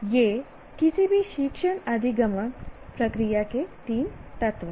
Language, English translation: Hindi, These are the three elements of any teaching learning process